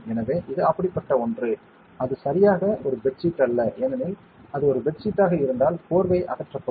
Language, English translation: Tamil, So, it is something like that, just that it is not exactly a bed sheet because if it is a bed sheet is in a blanket removal